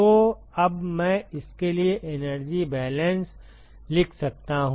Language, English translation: Hindi, So now, I can write a energy balance for this